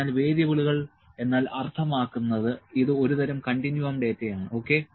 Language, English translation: Malayalam, So, variables means better, this is a kind of a continuous or better continuum data, ok